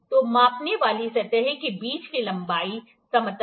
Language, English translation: Hindi, So, the length between the measuring surfaces, flatness